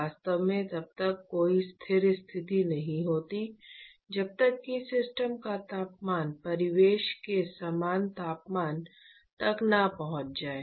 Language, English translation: Hindi, So, there is really no steady state till the system has or reaches the same temperature as that of the surroundings